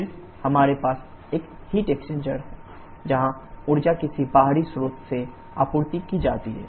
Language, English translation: Hindi, Then we have a heat exchanger where energy supplied from some external source